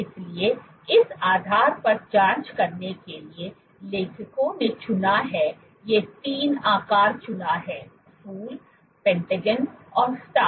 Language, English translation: Hindi, So, to probe into the basis what the authors chose was these 3 shapes the Flower, the Pentagon and the Star